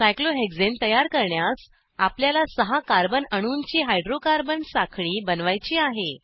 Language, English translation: Marathi, To create cyclohexane, we have to make a hydrocarbon chain of six carbon atoms